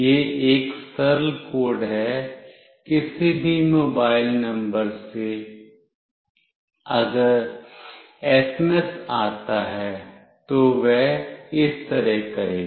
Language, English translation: Hindi, This is a simple code; from any mobile number if the SMS comes, then it will do like this